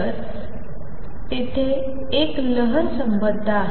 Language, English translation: Marathi, So, there is a wave associated